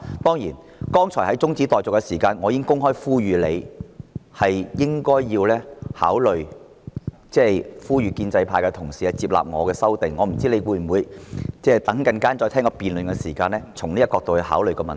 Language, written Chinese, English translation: Cantonese, 當然，剛才在辯論中止待續議案時，我已經公開呼籲局長考慮呼籲建制派同事接納我的修訂議案，我不知道稍後他在聆聽辯論時，會否從這個角度考慮問題？, In the debate on the adjournment motion just now I openly urged the Secretary to consider appealing to pro - establishment Members to accept my amending motion . I am not sure if he will consider the issue from this perspective when listening to the debate later on